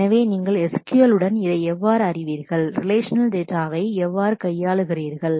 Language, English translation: Tamil, So, how do you, along with this know SQL, how do you handle the relational data with these